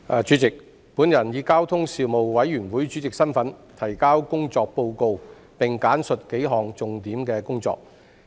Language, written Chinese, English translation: Cantonese, 主席，我以交通事務委員會主席身份，提交工作報告，並簡述幾項重點工作。, President in my capacity as Chairman of the Panel on Transport the Panel I now submit the Report on the work of the Panel and will give a brief account of several major areas of work